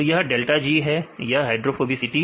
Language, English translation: Hindi, So, this is delta G and this is hydrophobicity right